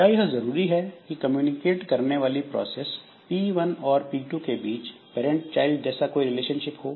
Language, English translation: Hindi, Is it mandatory that P1 and P2 should have a parent child relationship between them